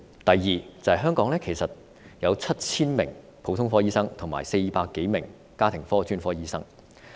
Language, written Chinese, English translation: Cantonese, 第二，香港其實有 7,000 名普通科醫生及400多名家庭科專科醫生。, Second there are actually 7 000 general practitioners and 400 - odd family specialist practitioners in Hong Kong